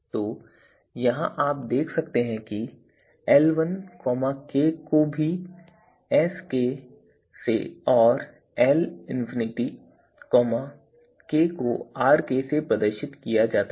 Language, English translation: Hindi, So, here you can see L1k is also denoted by Sk and you know L infinite k is also denoted by Rk